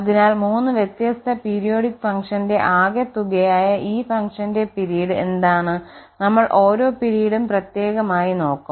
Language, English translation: Malayalam, So, what is the period here for this function which is sum of the 3 different periodic functions, so the period we will look individually first